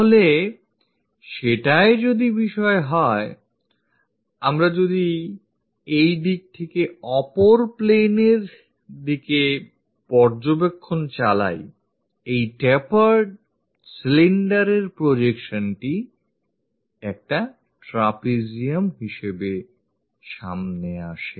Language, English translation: Bengali, So, if that is the case, if we are observing from this direction, the projection of this taper cylinder comes as a trapezium on the other plane